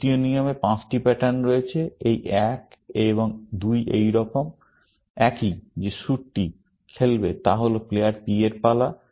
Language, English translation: Bengali, The third rule has five patterns; this one and two are same as this; that the suit will play is that the turn of player P